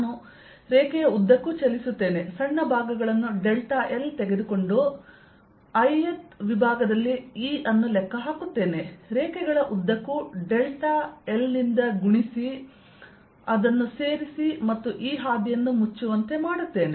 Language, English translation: Kannada, i'll move along the line, taking small segments, delta l, and calculate e on i'th segment, multiply by delta l along the lines and add it and make this path closed